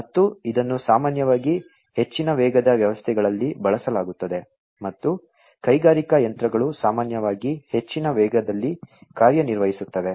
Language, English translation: Kannada, And, this is typically used in systems which are of high speed and industrial machinery typically you know operate in very high speed, right